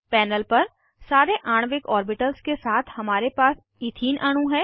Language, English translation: Hindi, On the panel, we have ethene molecule with all the molecular orbitals